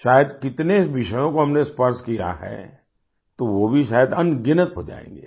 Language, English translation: Hindi, Perhaps, the sheer number of topics that we touched upon would turn out to be countless